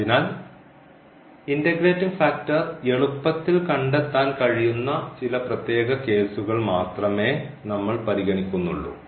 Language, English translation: Malayalam, So, we will consider only some special cases where we can find the integrating factor easily